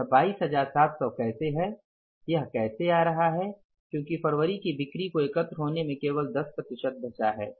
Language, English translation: Hindi, 22,700, how it is working out as this figure is coming up as, say, February sales are only 10% left to be collected